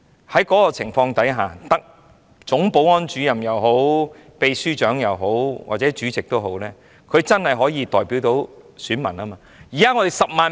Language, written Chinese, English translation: Cantonese, 在這個情況下，總保安主任、秘書長或主席便真的可以代表選民。, If the former is the case then the Chief Security Officer the Secretary General or the President can truly represent the electorate